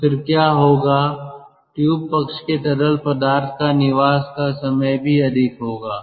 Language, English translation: Hindi, the tube side fluid will also have more residence time